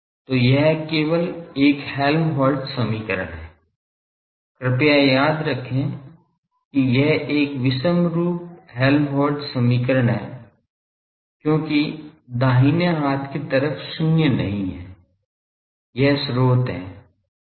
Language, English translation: Hindi, So, this is an Helmholtz equation only thing please remember that this is an inhomogeneous Helmholtz equation, because right hand side is not zero; it is the source